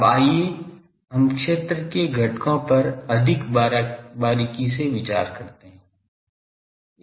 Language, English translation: Hindi, Now, let us consider the field components more closely